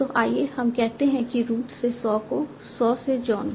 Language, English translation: Hindi, So, let us say root to saw, saw to John